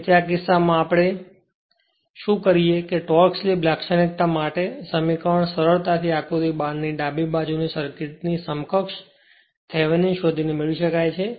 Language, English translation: Gujarati, So, in this case what we do, the expression for the torque slip characteristic is easily you can obtain by finding Thevenin equivalent of the circuit to the left of the a b in figure 12